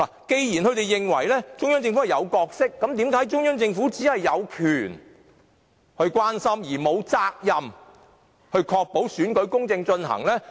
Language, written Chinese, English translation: Cantonese, 既然他們認為中央政府有角色，那為甚麼中央政府只是有權關心，而沒有責任確保選舉公正進行？, If they think the Central Government has a role to play then why is it that the Central Government has the right to show concern but not the duty to ensure the fair conduct of the election?